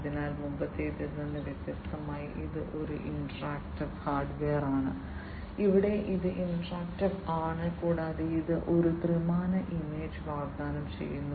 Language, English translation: Malayalam, So, it is an interactive hardware unlike the previous one, here it is interactive and it offers a three realistic three dimensional image